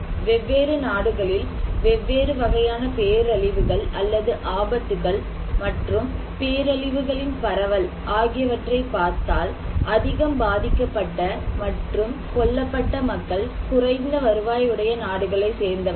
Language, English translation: Tamil, Go to next slide; if you look into the disaster distributions, different kind of disasters or hazards in different countries, the most affected people and killed are in low income countries and the least the high income countries